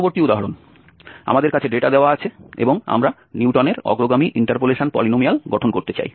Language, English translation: Bengali, Next example, we have the data given and we want to construct Newton's forward interpolation polynomial